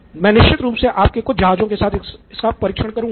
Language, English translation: Hindi, I can certainly test this with some of your ships